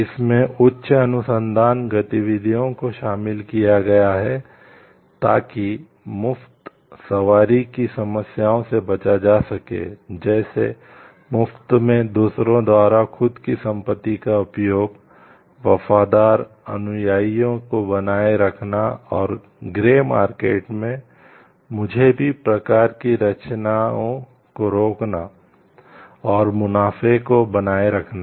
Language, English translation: Hindi, It involves high research activities, to avoid free riding problems; like, usage of own property by others for free, maintaining loyal followers and inhibiting like me too type of creations in grey markets and to retain the profits